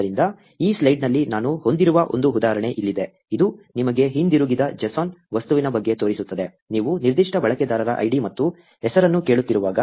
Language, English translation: Kannada, So, here is an example that I have in this slide, which just shows you about the JSON object that is returned, when you are asking for id and name of a particular user